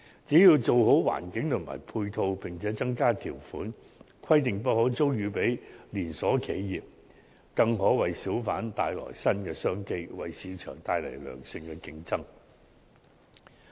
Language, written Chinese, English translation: Cantonese, 只要做好環境和配套，並增加條款，規定不可租予連鎖企業，便可為小販商帶來新的商機，為市場帶來良性競爭。, As long as public markets are properly managed in terms of their environment and ancillary facilities with the additional requirement that their stalls may not be let to chain enterprises it is possible to bring new business opportunities for small traders and introduce healthy market competition